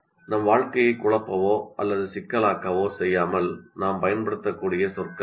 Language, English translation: Tamil, Those are the words which we can use without confusing or making our lives complicated